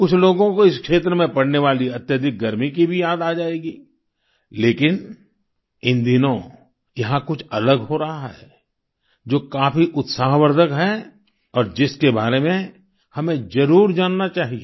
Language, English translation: Hindi, And some people will also remember the extreme heat conditions of this region, but, these days something different is happening here which is quite heartening, and about which, we must know